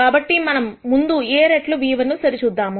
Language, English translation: Telugu, So, let us rst check A times nu1